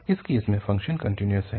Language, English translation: Hindi, In this case, the function is continuous